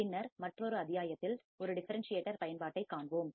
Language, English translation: Tamil, And then in another module, we will see application of an differentiator